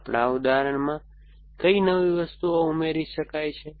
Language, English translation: Gujarati, So, what are the new things which can be added in our example